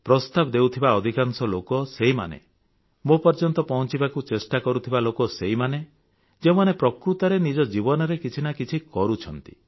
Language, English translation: Odia, Most of those who give suggestions or try to reach to me are those who are really doing something in their lives